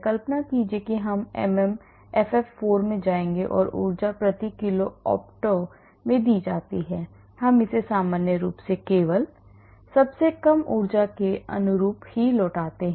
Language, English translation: Hindi, imagine we will go to MMFF4 and energy is given in kilo cals per mole optimization we do it normally return only the lowest energy conformer